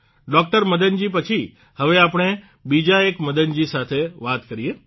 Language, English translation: Gujarati, Madan ji, we now join another Madan ji